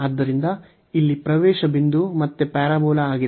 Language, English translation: Kannada, So, here the entry point is again the parabola